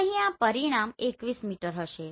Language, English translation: Gujarati, So here this result will be 21 meter